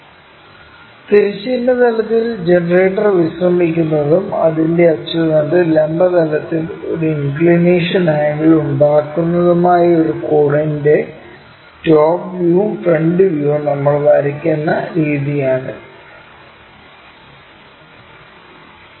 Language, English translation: Malayalam, This is the way we draw top view and front view of a cone whose generator is resting on the horizontal plane and its axis is making an inclination angle with the vertical plane